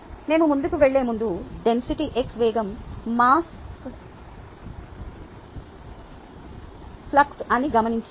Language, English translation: Telugu, before we go forward, let us note that density times velocity would be the mass flux